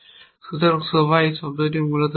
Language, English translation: Bengali, So, everybody uses this term essentially